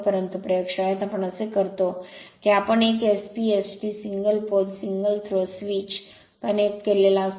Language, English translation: Marathi, But look into that in laboratory what we do that we are connected one SP ST single pole single throw switch